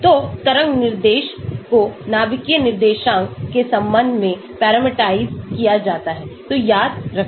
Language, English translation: Hindi, So, the wave function is parameterized with respect to the nuclear coordinates, so remember that